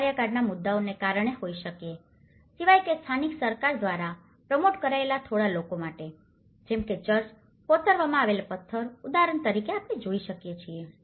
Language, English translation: Gujarati, It could be because of tenure issues except, for a few promoted by the local government such as church a carved stone, example we see